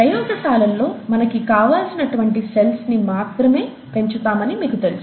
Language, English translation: Telugu, You know in the labs you would want to grow only the cells that we are interested in